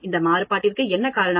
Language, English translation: Tamil, What causes this variation